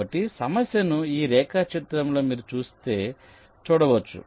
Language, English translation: Telugu, so the problem can be viewed like this in this diagram, if you see so